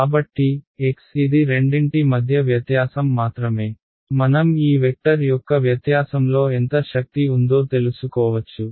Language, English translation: Telugu, So, x this is just the difference between the two I can take the norm of this vector to find out how much energy is in the difference